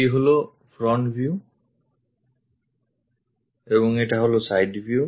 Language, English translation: Bengali, This is the front view and this is the side view